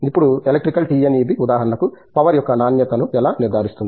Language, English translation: Telugu, Now, how does electrical TNEB, for example, ensure the quality of power, right